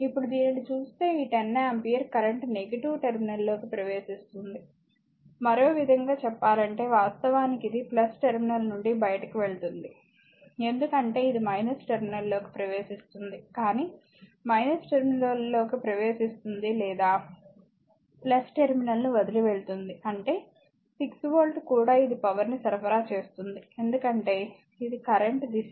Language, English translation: Telugu, Now, next is if you look into this, this 10 ampere current entering the negative terminal other way actually it is leaving the current leaving the plus terminal, because this is entering a minus terminal ok, but because either entering minus terminal or leaving the plus terminal; that means, 6 volt also it is supplying power because this is the direction of the current